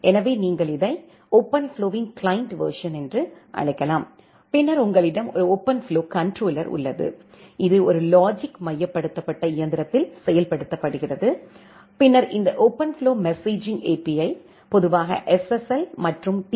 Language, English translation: Tamil, So, you can call it as the client version of the OpenFlow and then you have a OpenFlow controller, which is implemented in a logical centralized machine and then this OpenFlow messaging API, which normally uses SSL and a TCP kind of message, which talk with this OpenFlow controller